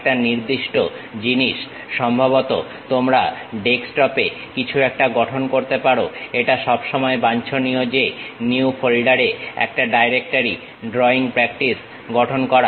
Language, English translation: Bengali, To one particular thing perhaps you can construct something at Desktop, always preferable is constructing a directory in New Folder, Drawing practice